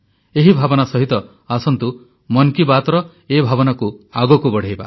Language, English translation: Odia, With this sentiment, come, let's take 'Mann Ki Baat' forward